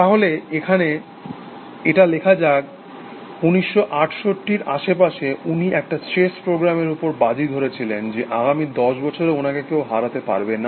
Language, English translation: Bengali, So, let us write it here, around 1968 also, he wagered the bet that to chess program, cannot beat him for the next ten years